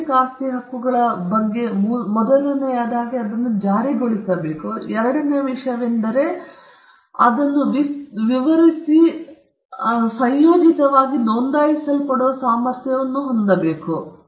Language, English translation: Kannada, The first thing about intellectual property rights is that they are enforceable; the second thing, they are capable of being described and concomitantly being registered